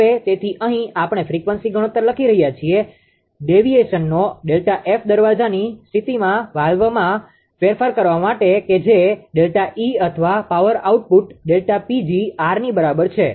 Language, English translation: Gujarati, Now, therefore here we are writing the ratio of frequency deviation delta F to change in valve per gate position that is delta E or power output delta P g is equal to R